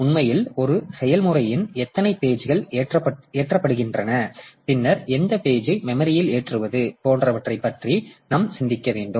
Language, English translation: Tamil, So, that is actually we have to think about like the how many pages of a process be loaded, then how which pages do we load into memory